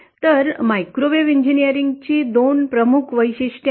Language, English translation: Marathi, So there are 2 major features of microwave engineering